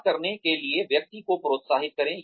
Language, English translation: Hindi, Encourage the person to talk